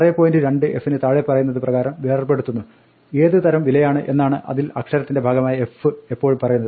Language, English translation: Malayalam, 2f breaks up as follows; the f, the letter part of it always tells me what the type of value is